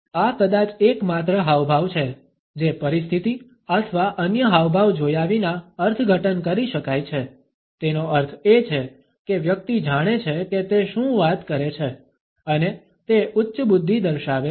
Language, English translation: Gujarati, This is probably the only gesture that can be interpreted without looking at the situation or other gestures, it means that the person knows what he is talking about and it shows high intellect